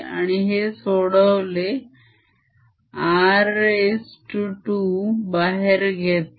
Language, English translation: Marathi, so r square is taken out